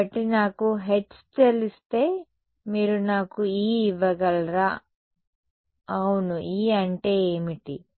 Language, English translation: Telugu, So, what is if I know H can you give me E yes what is E